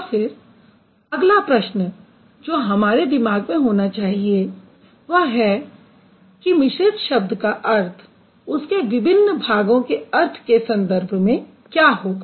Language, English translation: Hindi, And then the next question that you should have in mind is the word is the meaning of a complex word related to the meaning of its parts